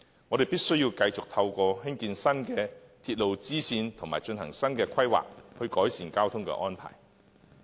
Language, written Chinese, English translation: Cantonese, 我們必須繼續透過興建新的鐵路支線和進行新的規劃，改善交通安排。, We must improve the transport arrangements by constructing new spur lines and conducting new planning